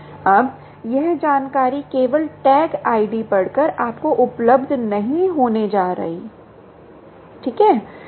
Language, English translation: Hindi, now, that information is not going to be made available to you by just reading the tag